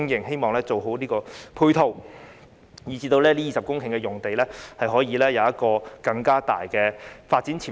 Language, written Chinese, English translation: Cantonese, 希望政府能完善相關的配套，以至這20公頃用地可以有更大的發展潛力。, It is our wish that the Government can improve the related supporting facilities so that the development potential of this piece of land of 20 hectares can be maximized